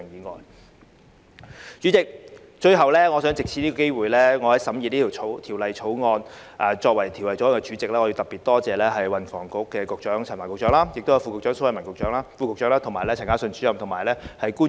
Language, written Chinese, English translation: Cantonese, 代理主席，最後，作為審議《條例草案》的法案委員會主席，我想藉此機會特別多謝運房局陳帆局長及蘇偉文副局長、陳嘉信主任及其他官員。, Deputy President lastly as Chairman of the Bills Committee scrutinizing the Bill I would like to take this opportunity to thank Secretary for Transport and Housing Frank CHAN Under Secretary for Transport and Housing Raymond SO Director Carlson CHAN and other officials